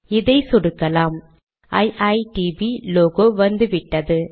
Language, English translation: Tamil, You can see that iitb logo has come